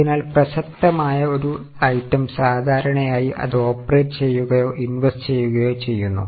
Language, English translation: Malayalam, So, whatever is a relevant item, normally it is either operating or investing